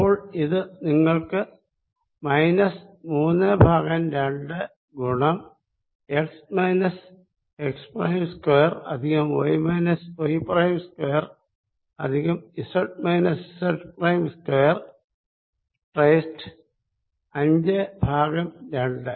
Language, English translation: Malayalam, q z minus z prime over x minus x prime square plus y minus y prime square plus z minus z prime square is two, three by two